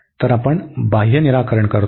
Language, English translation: Marathi, So, we fix the outer one